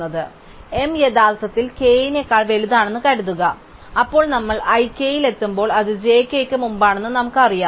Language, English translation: Malayalam, So, suppose that m is actually strictly greater than k, then we know that when we reach i k, it is before j k